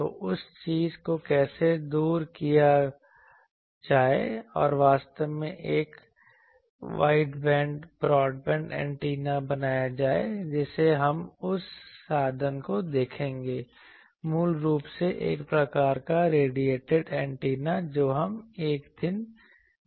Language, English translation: Hindi, So, how to overcome that thing and make a truly wideband broadband antenna that we will see that means, basically impulse radiating type of antenna we will see one day